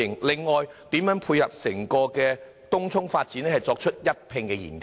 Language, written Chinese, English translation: Cantonese, 另外，政府如何配合整個東涌發展，一併進行研究？, Besides will the Government conduct studies which take the overall development of Tung Chung into account?